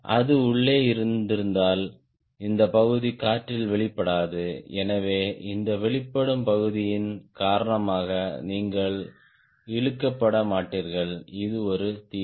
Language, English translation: Tamil, if it was inside, then this portion will not get exposed to the air, so we will not get drag because of this exposed portion